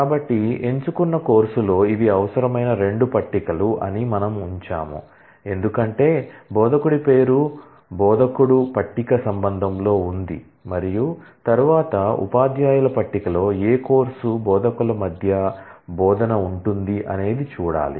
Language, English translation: Telugu, So, we put that on the select course these are the 2 tables that are required because, the name of the instructor is there in the instructor table relation and then the relationship between which instructors teach which course is in the teachers table